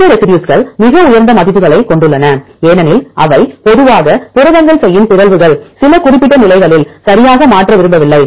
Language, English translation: Tamil, These residues have highest values because the mutations the proteins usually they do not want to mutate at certain specific positions right